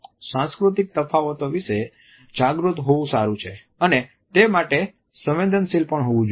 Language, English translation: Gujarati, While it is good to be aware of the cultural differences which exist and one should be sensitive to them